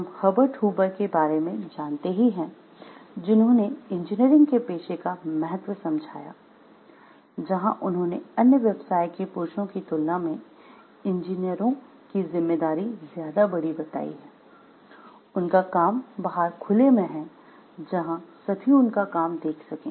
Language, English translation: Hindi, What we find like the Herbert Hoover way back in he gave importance of the engineering profession, where he told the great liability of the engineers compared to men of other professions is that his works are out in the open where all can see them